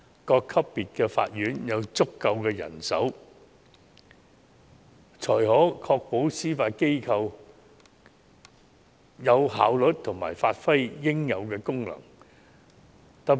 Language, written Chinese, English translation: Cantonese, 各級別法院須有足夠人手，才可確保司法機構有效率地發揮應有功能。, The courts at all levels must have sufficient manpower to ensure that the Judiciary can perform its due functions efficiently